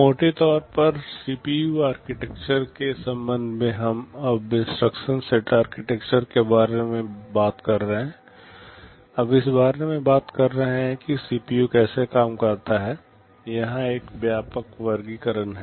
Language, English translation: Hindi, Broadly with respect to CPU architectures we are so far talking about instruction set architectures, now talking about how the CPU works there is a broad classification here